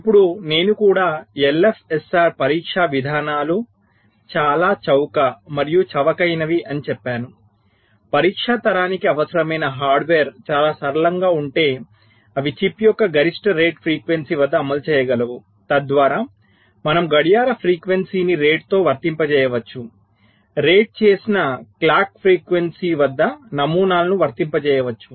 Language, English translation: Telugu, now we have also said that l f s r test patterns are very cheap and inexpensive in the sense that the hardware required for the test generation if very simple, they can run at the maximum rated frequency of the chip so that you can apply the clock frequency at the rated ah